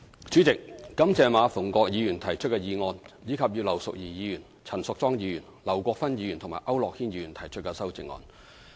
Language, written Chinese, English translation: Cantonese, 主席，感謝馬逢國議員提出的議案，以及葉劉淑儀議員、陳淑莊議員、劉國勳議員和區諾軒議員提出的修正案。, President I thank Mr MA Fung - kwok for moving the motion and also thank Mrs Regina IP Ms Tanya CHAN Mr LAU Kwok - fan and Mr AU Nok - hin for moving the amendments